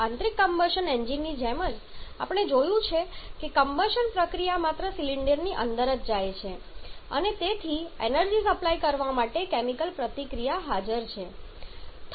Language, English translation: Gujarati, Like in internal combustion engine we have seen that the combustion process goes inside the cylinder only and therefore a chemical reaction is present to supply the energy